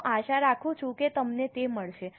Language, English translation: Gujarati, I hope you are getting it